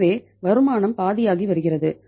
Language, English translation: Tamil, So income is is becoming half